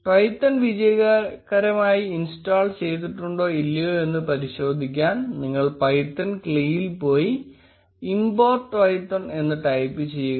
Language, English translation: Malayalam, You can check whether Twython has successfully installed or not by going to Python cli and typing import Twython